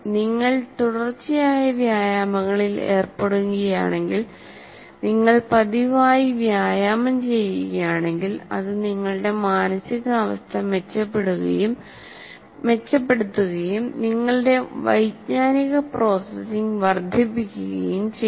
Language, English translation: Malayalam, If you are involved in continuous exercises, you are exercising regularly, then it improves your mood and also can enhance your cognitive processing